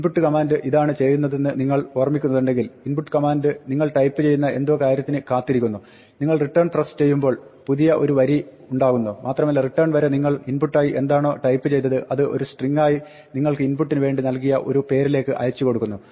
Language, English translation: Malayalam, If you remember this is what the input command does, the input command waits for you type something and then you press return which is a new line and whatever you type up to the return is then transmitted by input as a string to the name that you assigned to the input